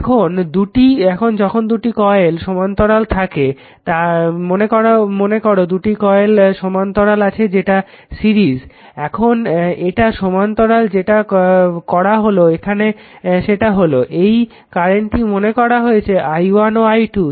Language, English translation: Bengali, Now, when 2 coils are in parallel suppose these 2 coils are in parallel that is series now this is a parallel what you have done it here that, current is this cyclic current is taken i1 and i 2